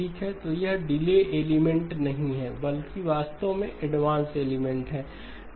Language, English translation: Hindi, Okay so it is not a delay element, but actually an advanced element